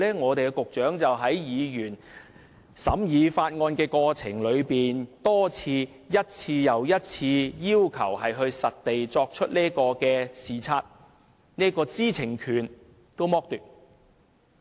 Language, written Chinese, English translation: Cantonese, 我們的局長在審議法案的過程中多次、一次又一次地拒絕議員進行實地視察的要求，他連這個知情權也剝奪。, The Secretary repeatedly turned down time after time Members request to make site visits in the course of scrutinizing the Bill . He deprived us even of this right to know